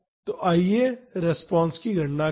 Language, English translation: Hindi, So, let us calculate the response